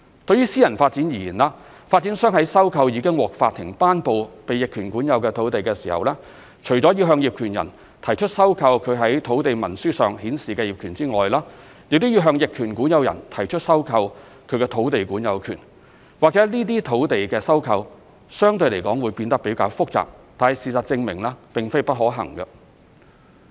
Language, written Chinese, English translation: Cantonese, 對於私人發展而言，發展商在收購已獲法庭頒布被逆權管有的土地時，除了要向業權人提出收購其在土地文書上顯示的業權外，亦要向逆權管有人提出收購他的土地管有權，或許這類土地收購相對來說會變得較為複雜，但事實證明並非不可行。, As far as private developments are concerned when acquiring land which has been adversely possessed as declared by the court developers have to acquire the possessory title to the land from the adverse possessor in addition to the land title as stated on the land instrument from the landowner . While such kind of land acquisition may be relatively more complicated it has been proven that this is not impossible